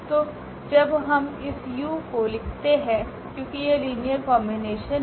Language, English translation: Hindi, So, when we write down this u because u is a linear combination well correct